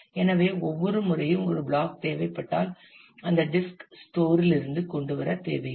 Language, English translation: Tamil, So, every time you need a block you may not want to need to bring it from the; disk storage